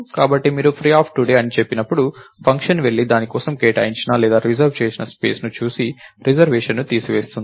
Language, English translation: Telugu, So, that the so when you say free today, the function will go and look at the space allocated or reserved for it and remove the reservation